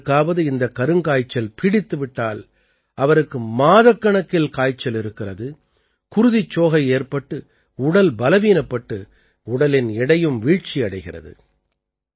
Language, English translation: Tamil, When someone has 'Kala Azar', one has fever for months, there is anemia, the body becomes weak and the weight also decreases